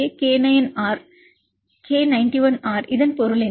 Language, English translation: Tamil, What is the meaning of this K91R